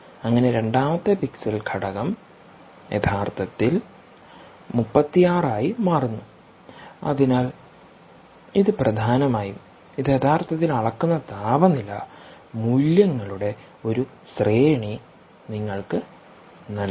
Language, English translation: Malayalam, the second pixel element, ah, is actually changing to a thirty six, and uh, and, and so essentially, this is giving you an array of um temperature values over which it is actually measuring the temperature